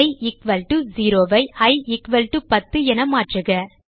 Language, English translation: Tamil, So change i equal to 0 to i equal to 10